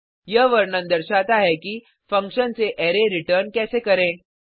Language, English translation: Hindi, This illustration demonstrates how we can return an array from a function